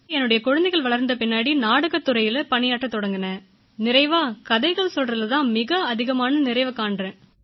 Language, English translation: Tamil, Once my children grew up, I started working in theatre and finally, felt most satisfied in storytelling